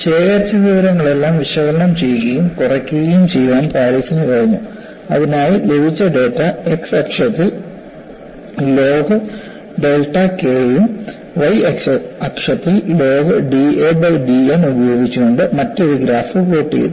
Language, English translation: Malayalam, This data was analyzed and reduced very intelligently by Paris by re plotting whatever the data collected, by a different graph with log delta K in the x axis and log of d a by d N in the y axis